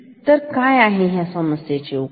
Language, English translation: Marathi, So, what is the solution